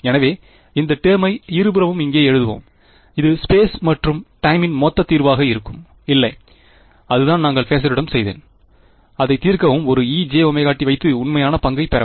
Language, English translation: Tamil, So, let us write this term over here on both sides that would be the total solution in space and time right; no that is what we did with facer; solve it, put a e to the j omega t and take real part